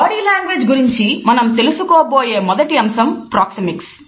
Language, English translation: Telugu, The first aspect of body language which we are going to study is Proxemics